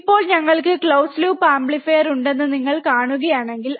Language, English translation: Malayalam, Now, if you see that we will have close loop amplifier